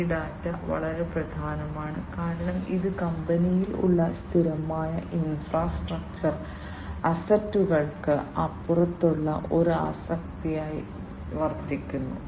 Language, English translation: Malayalam, And this data it is very important, because it serves as an asset beyond the fixed infrastructure assets that are there in the company that